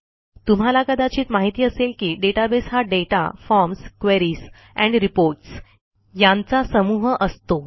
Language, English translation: Marathi, As you may know, a database is a group of data, forms, queries and reports